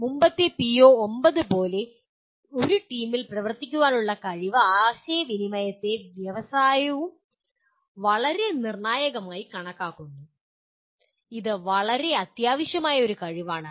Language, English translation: Malayalam, Once again like the earlier PO9, ability to work in a team, communication is also considered very very crucial by industry, is a very essential skill